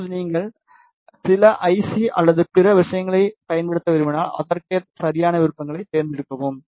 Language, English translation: Tamil, Now, if you want to use some I C or other things, you can accordingly select the proper options